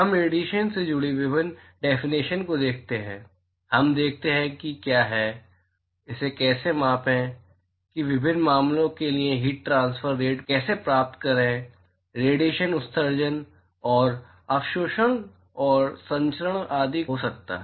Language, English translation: Hindi, We look at various definitions associated with radiation, we look at what is the, how to quantify that is how to find the heat transfer rate for various cases, radiation could be emission and absorption and transmission etcetera